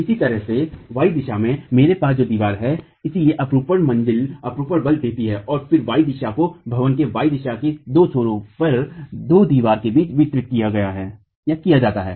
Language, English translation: Hindi, In the Y direction similarly I have two walls so the shear force, the story shear in the Y direction is then distributed between the two walls at the two extremities in the Y direction of the building itself